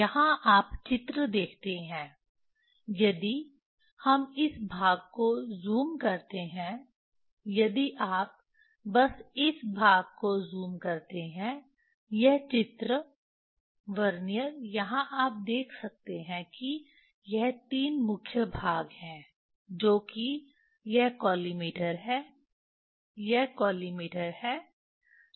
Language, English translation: Hindi, Here you see the picture if we just zoom this part, if you just zoom this part, this picture, Vernier here you can see this three made main parts is that this collimator, this is collimator